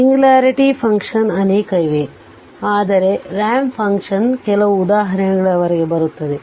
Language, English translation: Kannada, There are many other singularity function, but we will we will come up to ramp function some example